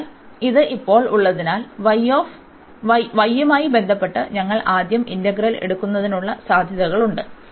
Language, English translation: Malayalam, So, having this now we have the possibilities that we first take the integral with respect to y